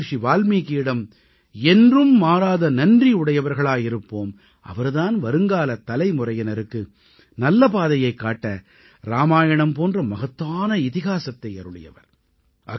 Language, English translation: Tamil, We will always be grateful to Maharishi Valmiki for composing an epic like Ramayana to guide the future generations